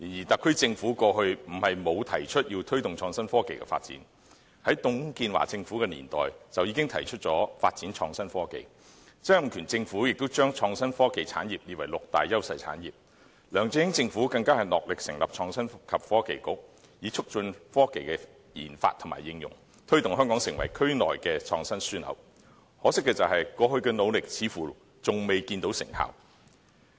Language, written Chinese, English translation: Cantonese, 特區政府過去也曾提出要推動創新科技的發展，在董建華政府的年代便已提出發展創新科技，曾蔭權政府也將創新科技產業列為六大優勢產業，梁振英政府更是戮力成立創新及科技局，以促進科技的研發和應用，推動香港成為區內的創新樞紐，可惜過去的努力似乎仍未見成效。, The Government has already proposed the promotion of development of innovation and technology in the past . The TUNG Chee - hwa Government proposed developing innovation and technology; the Donald TSANG Government prescribed innovation and technology as one of the six priority industries; the LEUNG Chun - ying Government made efforts to establish the Innovation and Technology Bureau to promote technology research and application in the hope of developing Hong Kong into a regional innovation hub . Unfortunately it seems that the efforts made in the past have failed to bear fruit so far